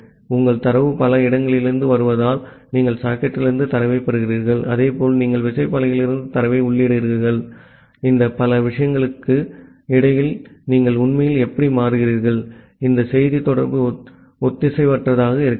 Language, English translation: Tamil, Because your data is coming from multiple places, you are getting data from the socket as well as you are entering data from the keyboard, how you actually switch between this multiple thing, where this message communication is asynchronous